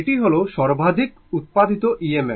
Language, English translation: Bengali, This is the maximum EMF generated, right